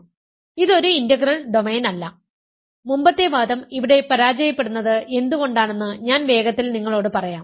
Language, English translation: Malayalam, So, this is not an integral domain and I will quickly tell you why the previous argument fails here